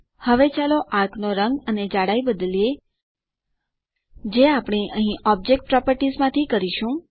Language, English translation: Gujarati, Now lets change the color and thickness of the arc that we have joined from object properties here